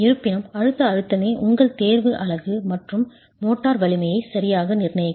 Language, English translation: Tamil, However, it is the compressive stress that will dictate your choice of unit and motor strength